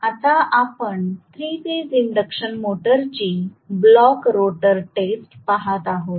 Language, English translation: Marathi, So, now we will start looking at the block rotor test of a 3 phase induction motor